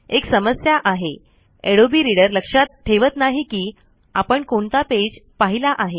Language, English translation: Marathi, IT is a problem, adobe reader does not remember the page that is being viewed